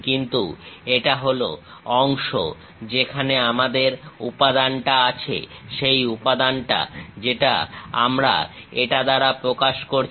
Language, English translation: Bengali, But this is the portion where we have material, that material what we are representing by this